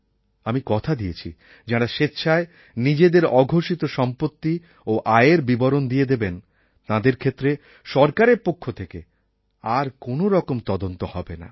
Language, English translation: Bengali, I have also promised that for those who voluntarily declare to the government their assets and their undisclosed income, then the government will not conduct any kind of enquiry